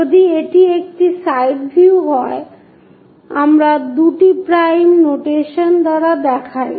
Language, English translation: Bengali, If it is side view, we show it by two prime notation